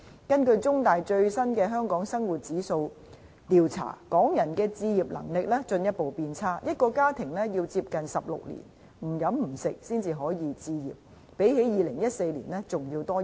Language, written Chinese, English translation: Cantonese, 根據最新的"中大香港生活質素指數"調查，港人置業能力進一步變差，一個家庭要接近16年不吃不喝才可置業，相比2014年的情況增加了1年。, According to the latest CUHK Hong Kong Quality of Life Index survey Hong Kong peoples housing affordability ratio has declined further . A family must spend nothing on food or other daily necessities for almost 16 years before it can achieve home ownership which is one year longer than that in 2014